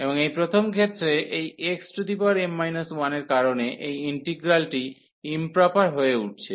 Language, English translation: Bengali, And in this first case because of this x power m minus 1 term, this integral is becoming improper